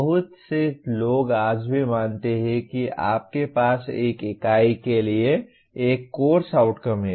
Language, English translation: Hindi, Many people even today believe that you have to have one course outcome for one unit